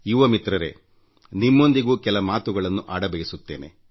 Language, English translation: Kannada, Young friends, I want to have a chat with you too